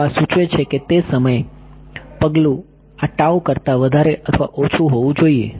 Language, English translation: Gujarati, So, this implies at the time step should be greater than or less than this tau